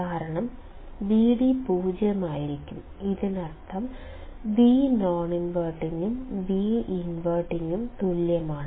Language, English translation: Malayalam, Because, Vd would be 0 and this means, the V non inverting and V inverting voltages are the same